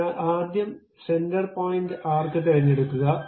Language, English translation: Malayalam, So, pick center point arc, the first one